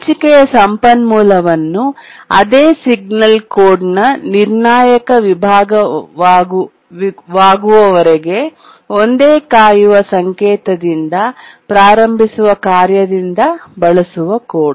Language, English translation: Kannada, The part of the code in which the shared resource is used by a task starting with a same weight signal till the same signal is the critical section of the code